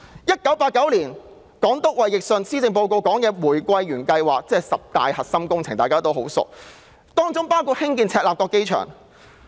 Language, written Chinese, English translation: Cantonese, 1989年，港督衞奕信在施政報告中提出玫瑰園計劃，亦即大家非常熟悉的十大核心工程，當中包括興建赤鱲角機場。, In 1989 the then Governor of Hong Kong David WILSON proposed to implement the Rose Garden Project in the Policy Address and it was comprised of the 10 core projects which all of us are very familiar with including the construction of Chek Lap Kok Airport